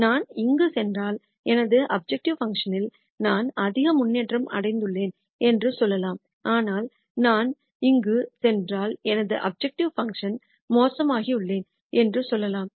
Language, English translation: Tamil, So, for example, if I go here I have made some improvement to my objective function let us say if I go here I have made much more improvement to my objective function, but let us say if I go here I have actually made my objective function worse